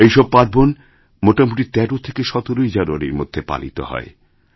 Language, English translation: Bengali, All of these festivals are usually celebrated between 13th and 17thJanuary